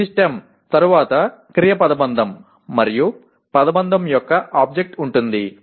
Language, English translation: Telugu, Okay, this stem will be followed by a verb phrase and an object of the phrase